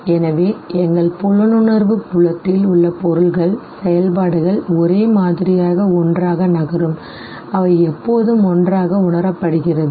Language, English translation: Tamil, So, objects in our perceptual field that function or move together in similar manner, they will always be perceived together